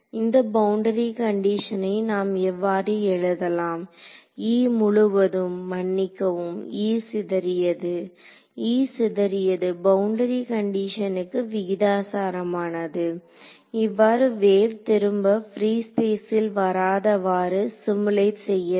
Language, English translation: Tamil, Let me write it as this E total sorry E scattered; E scattered is proportional to this is the correct boundary condition, this is what simulates a wave not coming back going on forever free space